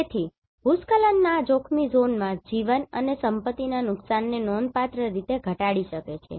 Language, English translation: Gujarati, So, landslide hazard zonation can significantly reduce the loss of life and property